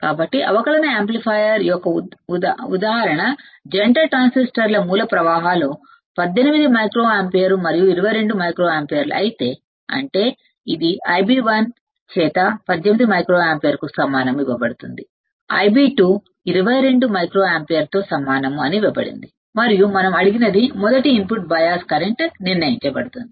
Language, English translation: Telugu, So, if the base currents of the emitter couple transistors of a differential amplifier are 18 microampere and 22 microampere; that means, it is given by I b 1 equals to 18 microampere it is given that I b 2 equals to 22 microampere right and what we are asked determined first input bias current